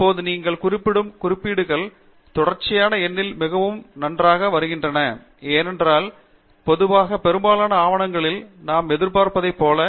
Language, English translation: Tamil, Now, you see that the references are coming quite nice in sequential number, as we would normally expect in most of the documents